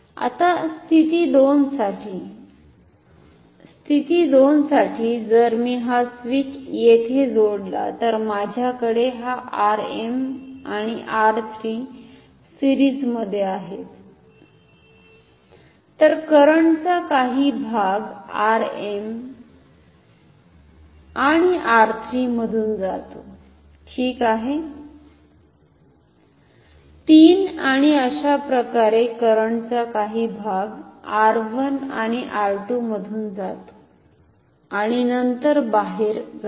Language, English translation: Marathi, Now for position 2 so, for position 2 if I connect this switch here; so, I have this R m and R 3 in series so, part of this current goes through R m and R 3 like this ok, R m then R 3 like this and part of the current goes through R 1 and R 2 and then out ok